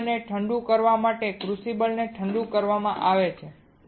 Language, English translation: Gujarati, The crucible is cooled down the crucible is cooled down alright